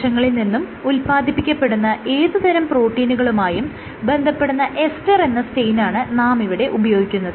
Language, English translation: Malayalam, So, this has been stained with a dye called ester which will bind to all proteins which are secreted